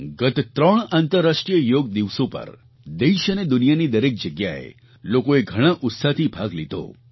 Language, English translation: Gujarati, On the previous three International Yoga Days, people in our country and people all over the world participated with great zeal and enthusiasm